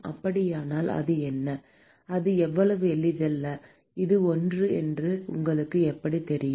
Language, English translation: Tamil, So, what is it oh it is not that simple how do you know that it is 1